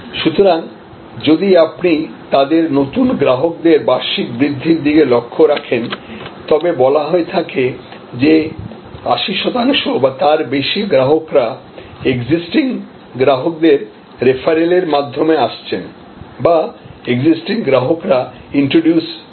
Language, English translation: Bengali, So, if you look at their annual acquisition of new customers, it has been said that 80 percent or more of the customers actually are coming through referral of existing customers or introduced by existing customers